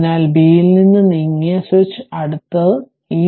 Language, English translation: Malayalam, So, switch is close at B moved from B